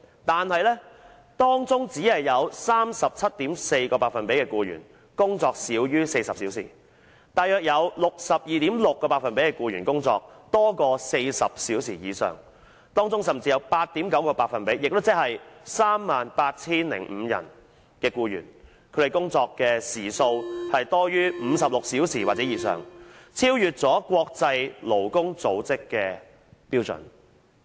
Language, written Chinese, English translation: Cantonese, 但是，當中只有 37.4% 的僱員工作少於40小時，大約有 62.6% 的僱員工作多於40小時以上，當中甚至有 8.9% 的僱員，他們的工作時數多於56小時或以上，超越國際勞工組織的標準。, However only 37.4 % of these employees work less than 40 hours while about 62.6 % of them work more than 40 hours and among these employees 8.9 % or 38 005 employees even work more than 56 hours exceeding the standard of the International Labour Organization